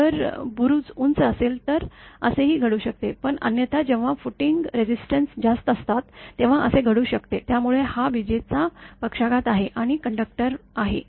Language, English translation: Marathi, If tower is tall, it can also happen that, but otherwise when footing resistances are high this may happen; so, this is lightning stroke and on the conductor